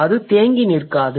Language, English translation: Tamil, It doesn't remain stagnant